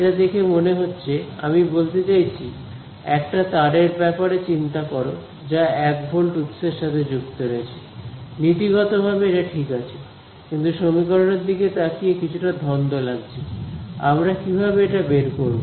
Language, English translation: Bengali, It seems like, I mean think of a wire I connected to a 1 volt source, in principle that should be alright, but looking at this equation it seems a little confusing, how will we find this